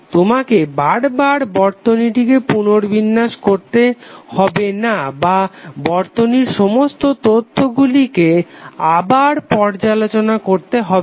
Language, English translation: Bengali, So you need not to rearrange the circuit or you need not to reprocess the complete information again and again